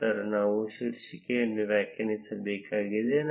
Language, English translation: Kannada, Then we need to define the title